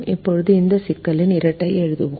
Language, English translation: Tamil, now let us write the dual of this problem